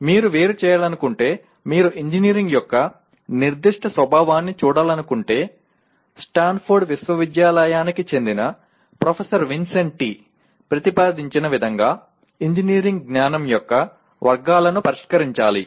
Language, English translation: Telugu, If you want to differentiate, if you want to see the specific nature of engineering one has to address the categories of engineering knowledge as proposed by Professor Vincenti of Stanford University